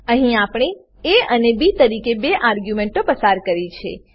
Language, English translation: Gujarati, Here we have passed two arguments as a and b